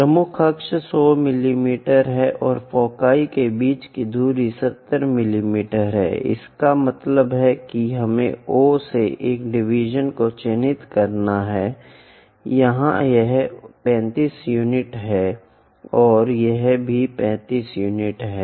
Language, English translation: Hindi, Major axis is 100 mm, and distance between foci is 70 mm; that means, we have to mark a division from O, here this is 35 units and this one also 35 units